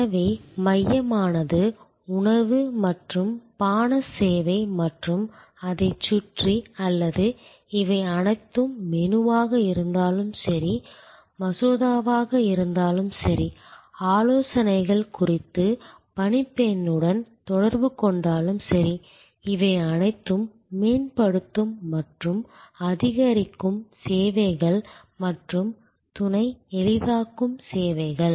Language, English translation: Tamil, So, the core is food and beverage service and around it or all these whether menu, whether the bill, whether the interaction with steward about suggestions, all those are the enhancing and augmenting services and supplementary facilitating services